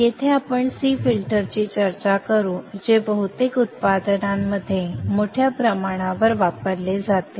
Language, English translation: Marathi, Here again we shall discuss the C filter which is the one which is most widely used in most of the products